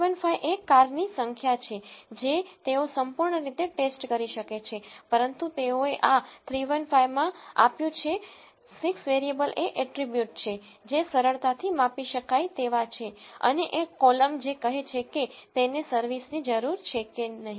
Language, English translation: Gujarati, 315 is the number of cars that they can thoroughly check, but they have given in this 315 the 6 variables are the attributes which are easily measurable and one column which says whether service is needed or not